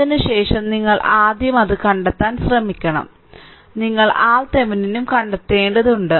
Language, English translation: Malayalam, So, that you have to first try find it out after that, you apply the after that you have to find out also that your R Thevenin